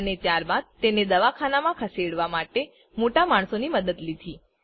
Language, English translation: Gujarati, And then they sought the help of elders to shift him to the hospital